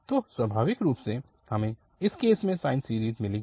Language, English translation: Hindi, So naturally, we will get the sine series in this case